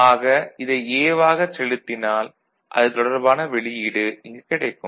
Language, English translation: Tamil, So, if you give this as A and this is the corresponding output will be